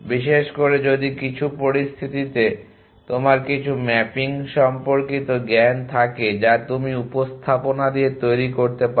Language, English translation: Bengali, Especially if in some situation you have knowledge related to some mapping that you can create with representation